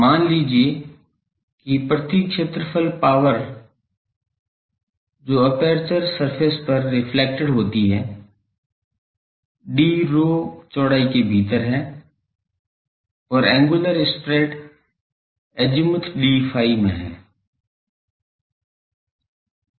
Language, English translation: Hindi, Let me say power per area reflected to the aperture surface within width d rho and angular spread in azimuth d phi